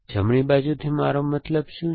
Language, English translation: Gujarati, What you mean by right side